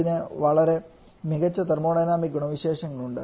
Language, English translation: Malayalam, Quite well known and quite different thermodynamic properties